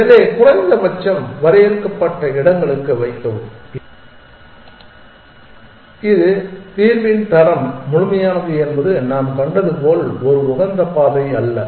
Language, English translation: Tamil, So, put at least for finite spaces it is complete the quality of the solution as we saw is not necessarily an optimal path